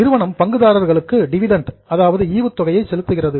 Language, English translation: Tamil, Now company pays dividend to shareholders